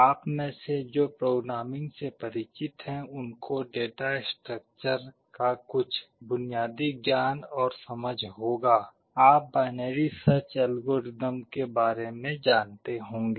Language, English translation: Hindi, For those of you who are familiar with programming have some basic knowledge and understanding of data structure, you may have come across the binary search algorithm